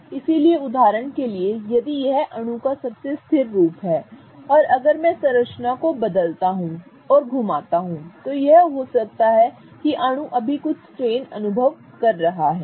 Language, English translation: Hindi, So, for example, if this is the most stable form of the molecule and if I change and rotate the structure there might be some strain that this molecule is experiencing right now